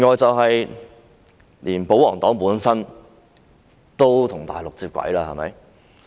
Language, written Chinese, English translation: Cantonese, 此外，連保皇黨本身都與內地接軌了。, Moreover even the pro - Government camp has now aligned with the Mainland